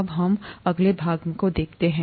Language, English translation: Hindi, Now, let us look at the next part